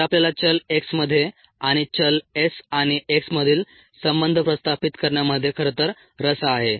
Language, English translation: Marathi, so we are actually interested in the variables x, n relating the variable s and x